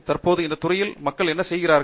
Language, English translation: Tamil, For what else are people doing in this field currently